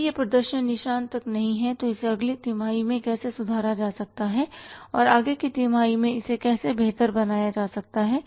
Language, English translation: Hindi, If that performance is not up to the mark how it can be improved in the next quarter and further how it can be improved in the next quarter